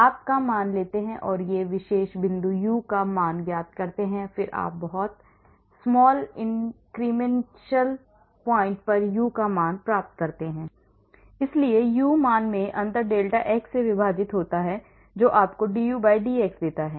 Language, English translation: Hindi, you take the value of, find out the value of U, at one particular point and then you find a value of U at a very small incremental point delta so the difference in the U value is divided by the delta x gives you dU/dx